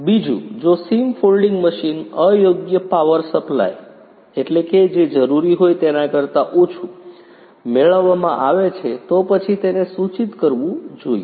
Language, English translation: Gujarati, Secondly, in case the seam folding machine is getting improper power supply then it should be notified